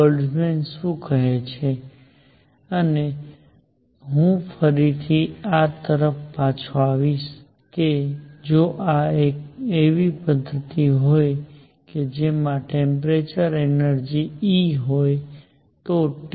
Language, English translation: Gujarati, What Boltzmann says and I will come back to this again that if there are systems that have energy E at temperature T